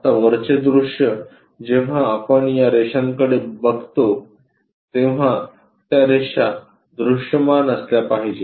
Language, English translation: Marathi, Now top view when we are looking at these lines supposed to be visible